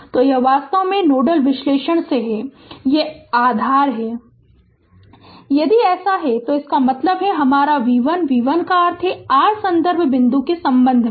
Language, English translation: Hindi, So, this is actually from nodal analysis this is grounded right if it is so that means, my v 1, v 1 means with respect to the your reference point